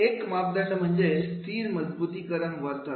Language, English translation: Marathi, One parameter is the fixed reinforcement behavior